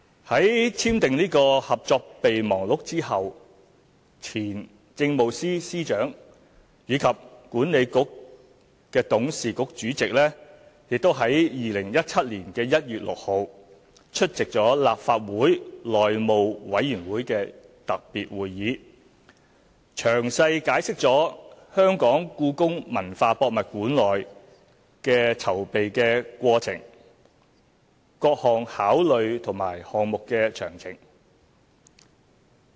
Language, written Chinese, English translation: Cantonese, 在簽訂《合作備忘錄》後，前政務司司長暨西九管理局董事局主席即於2017年1月6日出席立法會內務委員會特別會議，詳細解釋故宮館的籌備過程、各項考慮和項目詳情。, Immediately after the signing of MOU former Chief Secretary for Administration cum Board Chairman of WKCDA attended the special meeting of the House Committee on 6 January 2017 to explain in detail the preparation and various considerations for the HKPM project